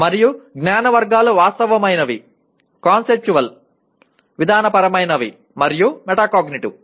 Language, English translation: Telugu, And Knowledge Categories are Factual, Conceptual, Procedural, and Metacognitive